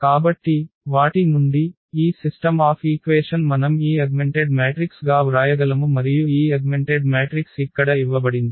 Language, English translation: Telugu, So, from those, these system of equations we can write down this augmented matrix and this augmented matrix is given here